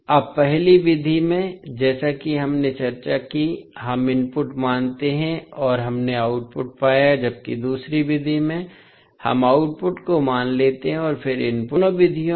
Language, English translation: Hindi, Now, in the first method, as we discussed, we assume input and we found the output while in second method, we assume the output and then find the input